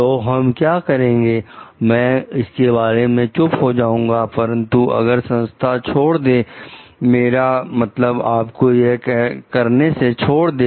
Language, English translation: Hindi, So, what we will do I will keep quiet about it, but if the organization gives up I mean, you for doing it